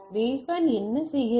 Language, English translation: Tamil, What the baseband said